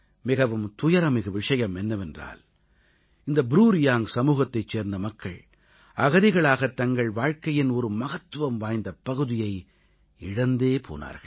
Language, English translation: Tamil, It's painful that the BruReang community lost a significant part of their life as refugees